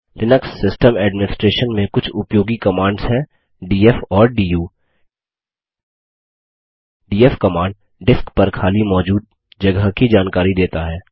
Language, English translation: Hindi, Some of the useful commands in Linux System Administration are df and du The df command gives a report on the free space available on the disk